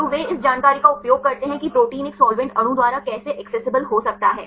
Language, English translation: Hindi, So, they use this information how the protein can be accessible by a solvent molecule